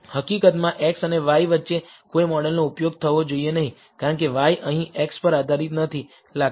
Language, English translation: Gujarati, In fact, no model should be used between x and y, because y does not seem to be dependent on x here